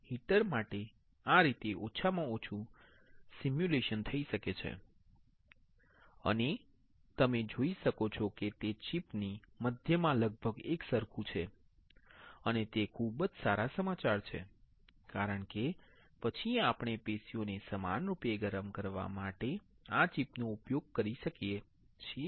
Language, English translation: Gujarati, So, this is how the simulation can be done for the heater at least and you can see it is almost uniform in the center of the chip and that is a very good news because then we can use this chip for heating the tissue uniformly